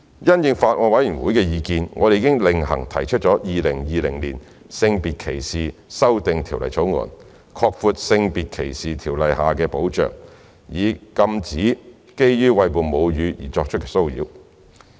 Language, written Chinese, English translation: Cantonese, 因應法案委員會的意見，我們已另行提出《2020年性別歧視條例草案》，擴闊《性別歧視條例》下的保障，以禁止基於餵哺母乳而作出的騷擾。, In light of the views of the Bills Committee we have proposed the Sex Discrimination Amendment Bill 2020 separately to expand the scope of protection under SDO to prohibit harassment on the ground of breastfeeding